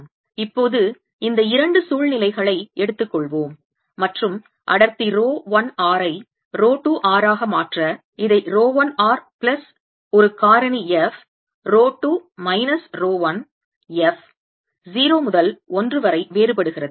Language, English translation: Tamil, now let's take these two situations and change density rho one r to rho two r by writing this as rho one r plus a factor f rho two minus rho one